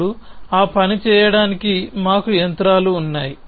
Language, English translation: Telugu, Now, we have the machinery for doing that